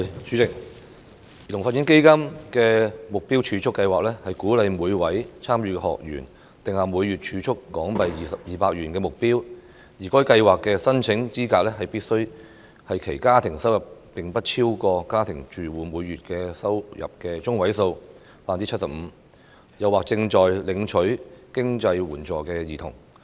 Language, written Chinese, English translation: Cantonese, 主席，基金的目標儲蓄計劃鼓勵每位參與學員定下每月儲蓄200港元的目標，而該計劃的申請資格是其家庭收入不超過家庭住戶每月收入中位數的 75%， 或正在領取經濟援助的兒童。, President the targeted savings programme under CDF encourages each participant to set a monthly savings target of HK200 whereas children whose family is either earning a household income less than 75 % of the median monthly domestic household income or receiving financial assistances are eligible for the programme